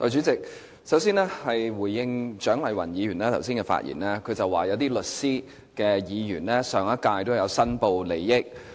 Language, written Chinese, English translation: Cantonese, 代理主席，首先我想回應蔣麗芸議員剛才的發言，她說有些身為律師的議員在上屆立法會有申報利益。, Deputy President first of all I wish to respond to Dr CHIANG Lai - wan . She mentioned that some Members who are lawyers declared interests in the last Legislative Council